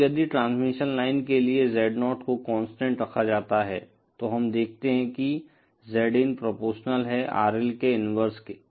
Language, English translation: Hindi, Now, if Z0 for the transmission line is kept constant, then we see that ZIn is proportional to the inverse of RL